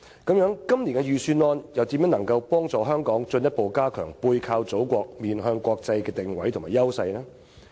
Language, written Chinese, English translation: Cantonese, 那麼，今年的預算案又是否能夠幫助香港進一步加強"背靠祖國，面向國際"的定位和優勢呢？, That being the case can this years Budget further enhance Hong Kongs position and advantages as a city backed by the Motherland and facing the world?